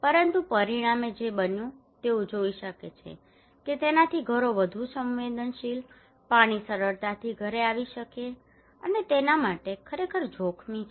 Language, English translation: Gujarati, But as a result what happened they can see that it makes the houses more vulnerable water can easily come to house and it is really risky for them